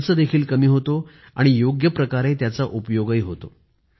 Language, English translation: Marathi, The expenses are reduced as well, and the gift is well utilized too